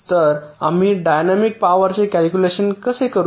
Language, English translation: Marathi, so how do we calculate the dynamic power